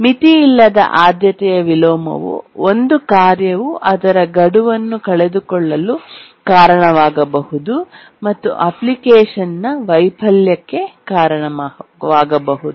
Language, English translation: Kannada, And unbounded priority inversion can cause a task to miss its deadline and cause the failure of the application